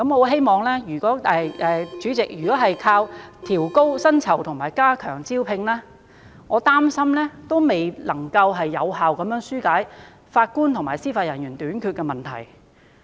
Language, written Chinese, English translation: Cantonese, 然而，主席，如果單靠加薪及改善服務條件來吸引人才，我擔心仍未能有效紓解法官及司法人員短缺的問題。, Nevertheless President if we solely rely on increasing salaries and improving the conditions of service to attract talents I am worried that we will still fail to address the shortage of Judges and Judicial Officers effectively